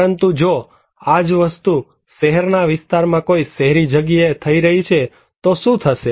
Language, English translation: Gujarati, But if this same thing is happening in an urban place in a city area what happens